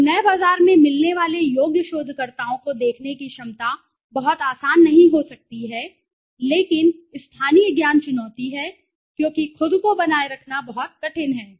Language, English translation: Hindi, So the ability of the qualified researchers finding see getting in to the new market is may not be very easy but sustaining yourselves is very tough because having the local knowledge is the challenge okay